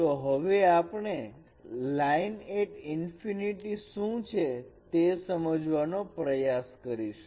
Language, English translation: Gujarati, So let us try to understand what is a line at infinity